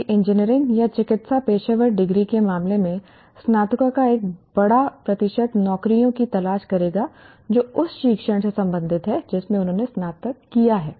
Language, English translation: Hindi, Whereas in case of engineering or medicine, professional degrees, a much bigger percentage of graduates will seek jobs that are related to the discipline in which they have graduated